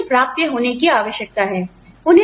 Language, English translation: Hindi, They need to be attainable